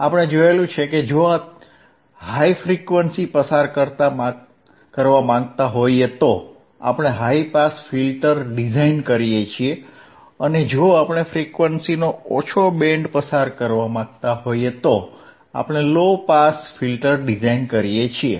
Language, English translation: Gujarati, We have seen that if you want to pass highhype band frequency, we design a high pass filter, and if hwe wouldwant not design the lo to pass low band of frequency, we design a low pass filter,